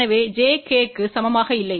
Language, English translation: Tamil, So, j is not equal to k